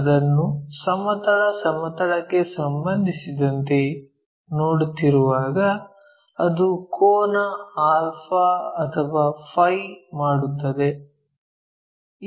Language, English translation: Kannada, And, this one when we are looking at that with respect to the horizontal plane it makes an angle alpha or phi